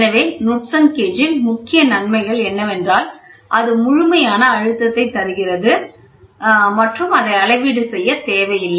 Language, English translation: Tamil, So, the main advantages of Knudsen gauge are that it gives absolute pressure and does not need any calibration